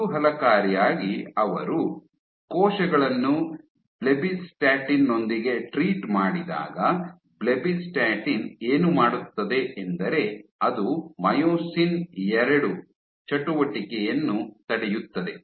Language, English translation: Kannada, Interestingly, when they treated the draw cells with the blebbistatin, so this is plus blebbistatin, what does blebbistatin do, inhibits Myosin II activity